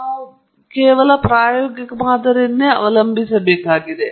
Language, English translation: Kannada, We have to choose, we have to resort an empirical model